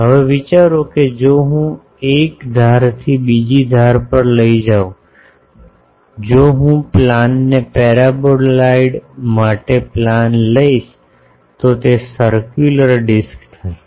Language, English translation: Gujarati, Now, think that if I take from one edge to other edge, if I take a plane that plane for the paraboloid it will be circular disk